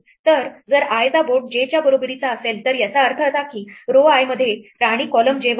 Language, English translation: Marathi, So, if board of i is equal to j it means that in row i the queen is at column j